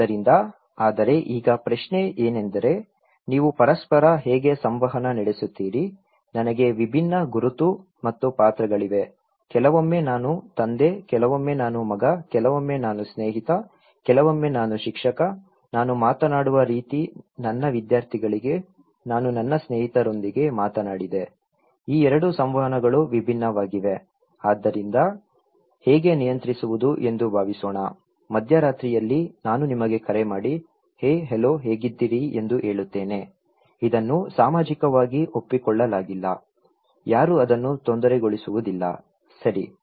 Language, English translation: Kannada, So, but then now question is that how do you make interactions, I have different identity and roles, sometimes I am a father, sometimes I am a son, sometimes I am a friend, sometimes I am a teacher so, the way I talk to my students, I talked to my friends, these 2 interactions are different so, how to control like suppose, if at the middle of the night, I call you and say hey, hello how are you, well this is not socially accepted, nobody would bother that one, okay